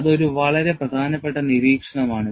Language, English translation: Malayalam, That is a very important observation